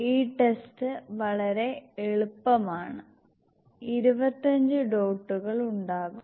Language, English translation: Malayalam, And this test is very simple there will be 25 dots